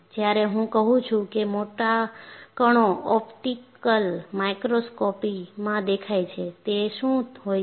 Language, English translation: Gujarati, When I say large particles, they are visible in optical microscope, and what are they